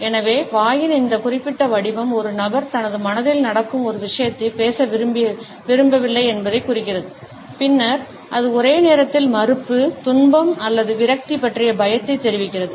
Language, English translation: Tamil, So, whereas, this particular shape of the mouth indicates that a person does not want to a speak something which is going on in his or her mind, then it also simultaneously communicates a fear of disapproval, distress or frustration